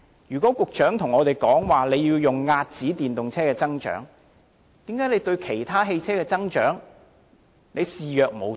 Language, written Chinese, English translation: Cantonese, 如果局長說要遏止電動車的增長，為何他對其他汽車的增長卻視若無睹？, If it is the Secretarys objective to curb the growth of EVs why does he choose to turn a blind eye to the growth of other types of vehicles?